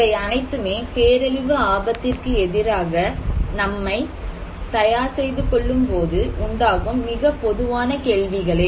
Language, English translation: Tamil, So, these are very common questions when we are trying to promote disaster preparedness